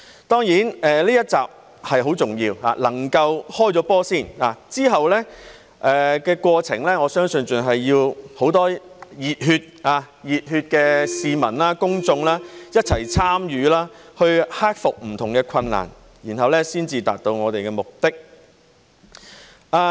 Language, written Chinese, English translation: Cantonese, 當然，這一集是很重要的，能夠先"開波"，之後的過程，我相信還是要很多熱血的市民、公眾一齊參與，去克服不同的困難，然後才達到我們的目的。, Certainly this episode now is very important as the match can get started first . In the subsequent process I think it still requires the participation of many passionate citizens and members of the public to overcome various difficulties before achieving our goal